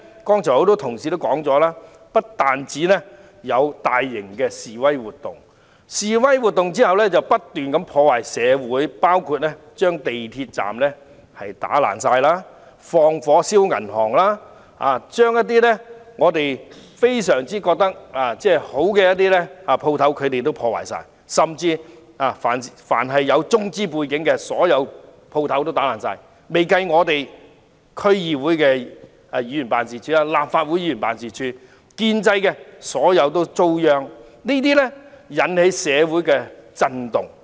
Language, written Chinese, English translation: Cantonese, 多位同事剛才已提及，除大型示威活動外，社會亦不斷遭受破壞，包括示威人士損毀港鐵站設施及縱火焚燒銀行，而一些我們認為非常好的店鋪亦統統遭受破壞，甚至但凡有中資背景的店鋪都遭人破壞，尚未包括區議會議員和立法會議員的辦事處，所有建制派議員都遭殃，引起社會震動。, As mentioned by a number of Honourable colleagues just now apart from large - scale demonstrations various parts of society have been damaged . For example demonstrators have vandalized the facilities at MTR stations and set fire to banks some shops which we cherish and even various shops affiliated with Chinese investors have been vandalized not to mention the offices of all pro - establishment District Council members and Legislative Council Members . Shock waves have been sent across the community